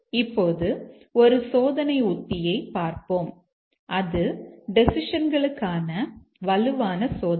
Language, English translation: Tamil, Now let's look at a test strategy which is a strong testing, strong testing for decisions